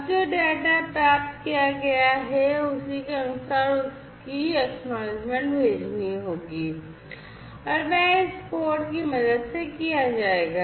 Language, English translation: Hindi, Now corresponding to the data that is received the acknowledgement will have to be sent and that is done with the help of this code, right